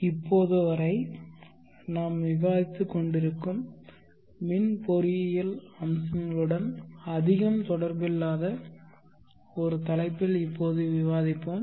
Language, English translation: Tamil, We shall now discuss on a topic that is not very much related to the electrical engineering aspects that we have been discussing till now